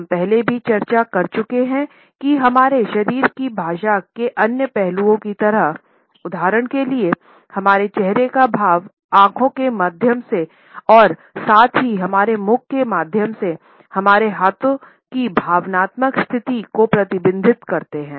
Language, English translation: Hindi, At the same time like other aspects of our body language which we have already discussed, for example, our facial expressions through the eyes as well as through our mouth, our hands also reflect the emotional state